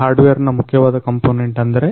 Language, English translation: Kannada, The main components of the hardware are NodeMCU